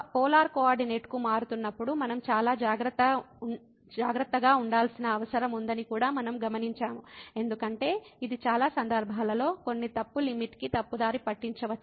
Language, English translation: Telugu, And what we have also observed that we need to be very careful while changing to polar coordinate, because that may mislead to some wrong limit in min many cases